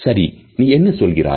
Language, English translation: Tamil, All right, what do you say